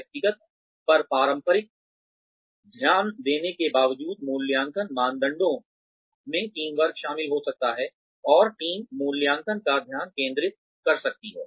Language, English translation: Hindi, Despite the traditional focus on the individual, appraisal criteria can include teamwork, and the teams can be the focus of the appraisal